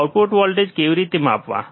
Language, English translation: Gujarati, What are input voltage